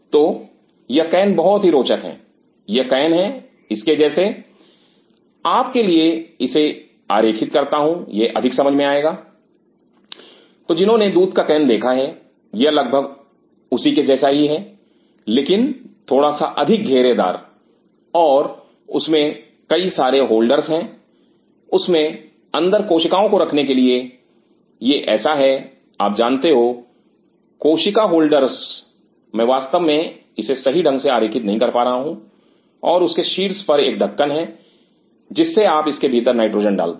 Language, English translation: Hindi, So, these cans are very interesting these are cans like this draw it for you I will make more sense, those who have milk can it is almost similar to that just little bit more circular and there are lot of holders to keep cells inside them these are like you know cell holders I am unable to really draw it the right way and there is a cap on top and you put nitrogen into it